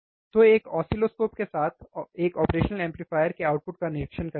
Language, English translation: Hindi, So, with an oscilloscope observe the output of operational amplifier